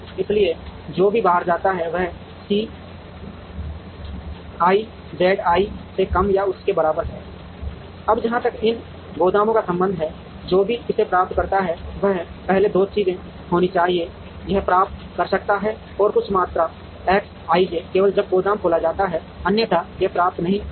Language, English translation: Hindi, So, whatever that goes out is less than or equal to C i Z i, now as far as these warehouses are concerned, whatever it receives should also be first two things will have to happen, it can receive and some quantity X i j only when, the warehouse is opened, otherwise it cannot receive